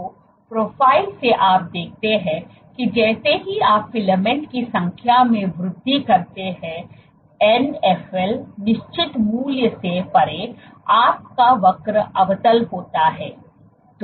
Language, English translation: Hindi, So, from the profile you see that as you increase the number of filaments, beyond a certain value of Nfl your curve is concave